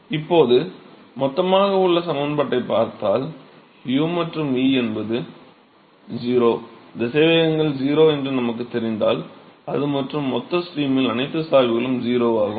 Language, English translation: Tamil, So, now, if I look at the equation in the bulk we know that u and v are 0, velocities are 0 and not just that, all the gradients are 0 in the bulk stream